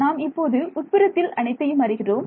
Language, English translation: Tamil, So, now I know everything inside this